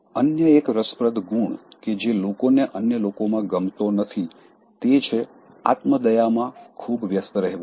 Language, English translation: Gujarati, Another interesting quality that people don’t like in others is, too much of indulgence in self pity